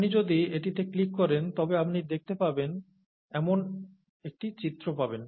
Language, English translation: Bengali, If you click on this, you will get an image that you could see